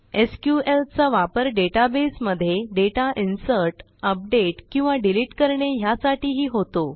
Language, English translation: Marathi, SQL can also be used for inserting data into a database, updating data or deleting data from a database